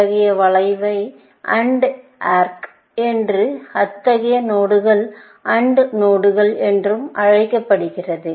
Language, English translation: Tamil, Such an arc is called as AND arc, and such a node is called an AND node